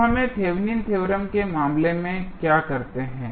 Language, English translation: Hindi, So, what we do in case of Thevenin's theorem